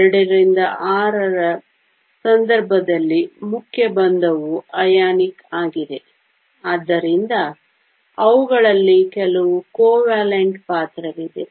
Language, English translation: Kannada, In case of II VI, the main bonding is ionic, so there is some covalent character in them